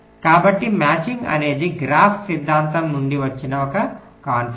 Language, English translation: Telugu, so matching is a concept that comes from graphs theory